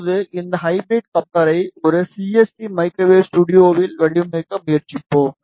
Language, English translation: Tamil, Now, we will try to design this hybrid coupler in a CST microwave studio